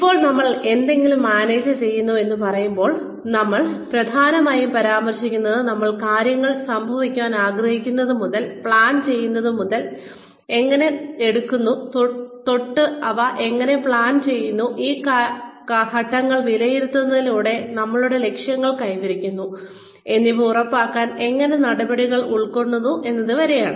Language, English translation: Malayalam, Now, when we say, we manage something, we are essentially referring to, how we take things from when we plan them, from when we want them to happen, to how we plan them, to how we take steps, to make sure that our goals are achieved to evaluating those steps